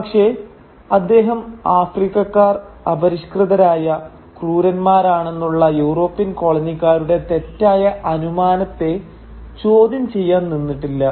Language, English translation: Malayalam, But he never seemed to question the problematic European coloniser’s assumption that Africans were uncivilised brutes